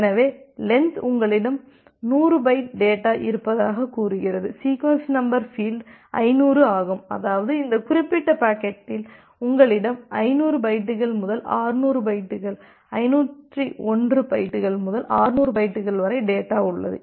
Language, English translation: Tamil, So the length says that you have 100 byte data, the sequence number field is a 500; that means, in this particular packet you have data from 500 bytes to 600 bytes, 501 bytes to 600 bytes